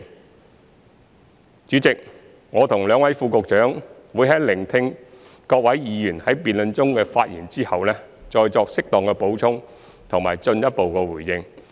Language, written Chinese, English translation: Cantonese, 代理主席，我和兩位副局長會在聆聽各位議員在辯論中的發言後，再作適當補充和進一步回應。, Deputy President the two Under Secretaries and I will add information and make further responses as appropriate after listening to the speeches made by Members in the debate